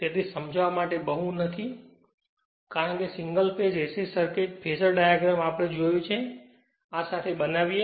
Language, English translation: Gujarati, So, not much to explain because you have seen your dingle phase AC circuit phasor diagram everything right so, with this if you make this is a